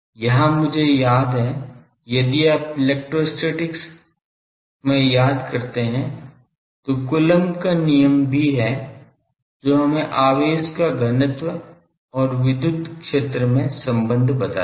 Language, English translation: Hindi, Here; I recall that if you remember in electrostatics also the Coulomb’s law that gives us that charge density and electric field